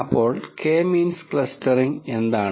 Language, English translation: Malayalam, So, what is K means clustering